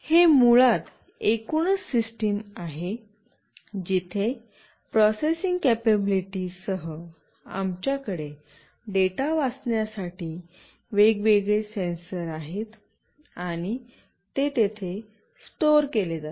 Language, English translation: Marathi, This is basically the overall system, where along with processing capability, we have different sensors to read the data, and it will get stored here